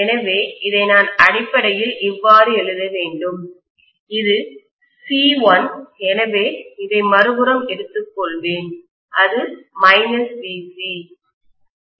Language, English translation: Tamil, So I should essentially write this as this is C, so, let me take this on the other side, this is VC